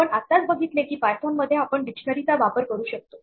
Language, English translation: Marathi, We saw recently that we can use dictionaries in python